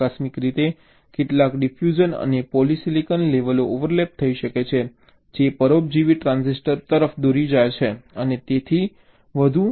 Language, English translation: Gujarati, accidentally, some diffusional polysilicon layers might overlap during to parasitic transistors and so on